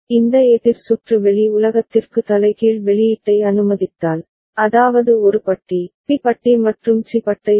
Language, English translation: Tamil, If this counter circuit also allows you inverted output to the outside world that means, A bar, B bar, and C bar ok